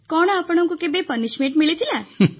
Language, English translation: Odia, Did you ever get punishment